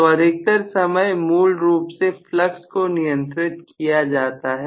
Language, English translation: Hindi, So, most of the times what is done is to control basically the flux